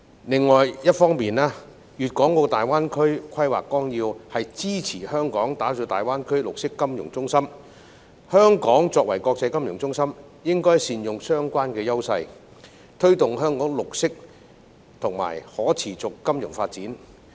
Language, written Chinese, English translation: Cantonese, 另一方面，《粵港澳大灣區發展規劃綱要》支持香港打造大灣區綠色金融中心，香港作為國際金融中心，應該善用相關優勢，推動香港綠色及可持續金融發展。, On the other hand the Outline Development Plan for the Guangdong - Hong Kong - Macao Greater Bay Area GBA supports Hong Kong in building a green financial centre in GBA . As an international financial centre Hong Kong should make good use of its advantages to promote green and sustainable financial development